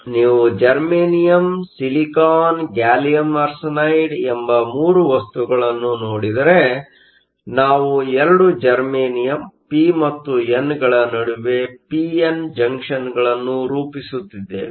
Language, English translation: Kannada, So, if you look at 3 materials germanium, silicon, gallium arsenide, so we are forming p n junctions between 2 germanium p and n, same with silicon, same with gallium arsenide